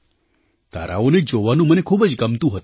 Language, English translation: Gujarati, I used to enjoy stargazing